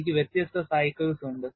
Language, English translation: Malayalam, And I have different cycles